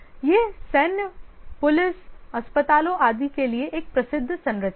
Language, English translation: Hindi, This is a well known structure for military, police, hospitals, etc